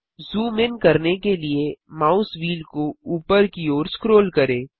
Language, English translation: Hindi, Scroll the mouse wheel upwards to zoom in